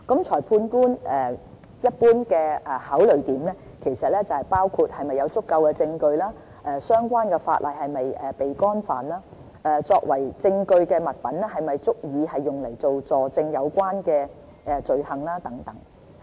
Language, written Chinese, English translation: Cantonese, 裁判官一般的考慮，包括是否有足夠證據，相關法例是否已被干犯，以及作為證據的物品是否足以用來佐證有關的罪行等。, In general magistrate will take into account factors such as whether the evidence is sufficient whether the relevant law is breached and whether the evidence can prove the offence etc